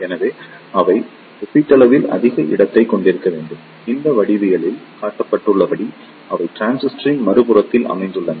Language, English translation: Tamil, So, the they should have relatively more space, they are situated on other side of the transistor as shown in this geometry